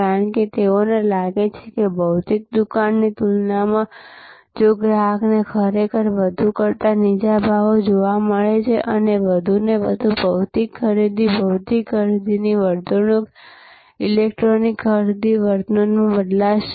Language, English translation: Gujarati, Because, they feel that compare to the physical stores, if customers really find lower prices than more and more will shift from physical purchasing, physical shopping behavior to electronic shopping behavior